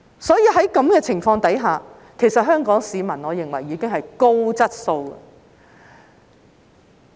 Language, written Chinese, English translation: Cantonese, 所以，在此情況下，我認為香港市民已經屬高質素了。, Therefore under such circumstances I consider that the people of Hong Kong are already of a high quality